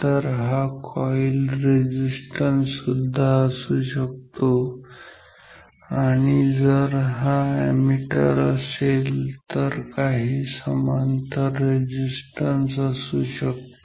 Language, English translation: Marathi, So, which can be the coil resistance and if it is an ammeter it can some shunt resistance